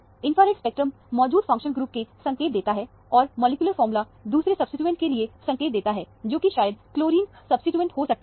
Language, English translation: Hindi, The infrared spectrum gave clue for the functional group that is present, and the molecular formula gave the clue for the second substituent, which might be the chlorine substituent